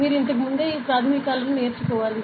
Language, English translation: Telugu, So, you must have learn this basics before also